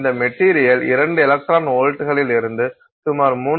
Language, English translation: Tamil, So, this material will absorb radiation from two electron volts to about 3